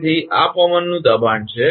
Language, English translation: Gujarati, So, these are the wind pressure